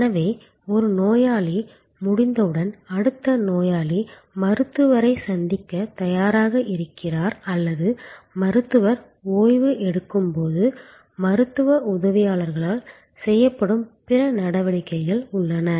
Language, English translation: Tamil, So, that as soon as one patient is done, the next patient is ready to meet the doctor or when the doctor is taking a break, there are other activities that are performed by medical assistants